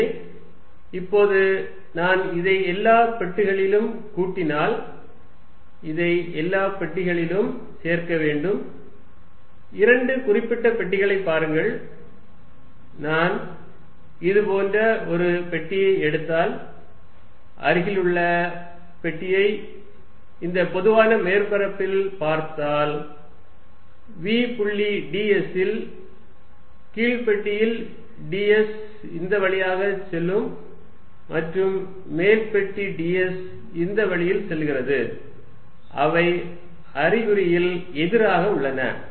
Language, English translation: Tamil, So, now, if I add this over all boxes I have to add this or over all boxes, look at two particular boxes, if I take one box like this I leave look at an adjacent box on this common surface v dot d s for the lower box would have d s going this way and for the upper box d s is going this way, there are opposite in signs